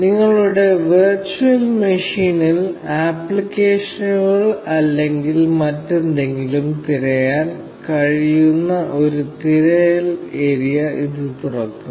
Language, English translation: Malayalam, This will open a search area where you can search for applications, or anything, in your virtual machine